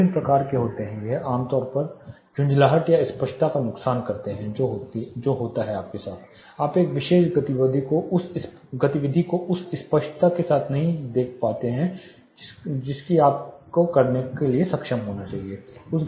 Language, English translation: Hindi, There are different types it is typically annoyance or the loss of clarity which happens you cannot see or read perform a particular activity with the same clarity or comfort which you will be you should be able to do